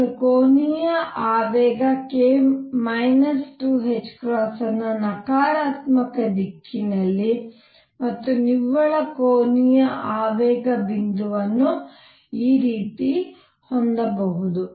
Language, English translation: Kannada, I could also have the angular momentum k minus 2 h cross in the negative direction and the net angular momentum point in this way